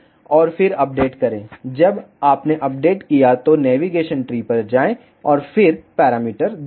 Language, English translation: Hindi, And then update when you updated go to navigation tree, and then see the parameters